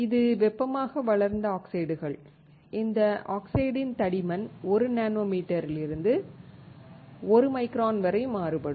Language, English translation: Tamil, This is thermally grown oxides where we can vary the thickness of the oxide from 1 nanometer to 1 micron